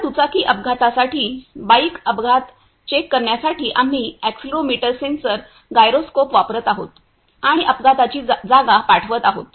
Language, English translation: Marathi, Now, for bike accident for checking the bike accident, we are using accelerometer sensor, gyroscope and sending the location of the accident happened; we are using GPS of our mobile